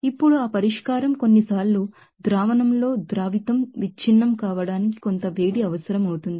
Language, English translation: Telugu, Now, that solution sometimes some heat will be required to break the solute in the solution